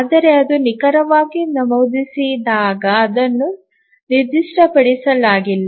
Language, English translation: Kannada, But that when exactly it would have been entered, not specifying anything